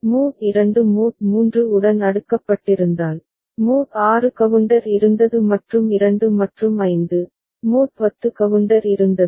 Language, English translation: Tamil, If mod 2 is cascaded with mod 3, then mod 6 counter was there and 2 and 5, mod 10 counter was there